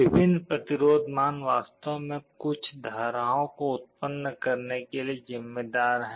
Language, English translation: Hindi, The different resistance values are actually responsible for generating some currents